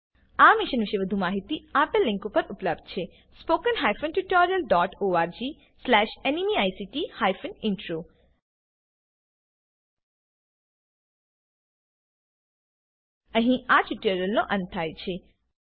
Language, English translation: Gujarati, More information on this Mission is available at http://spoken tutorial.org/NMEICT intro This brings us to the end of this tutorial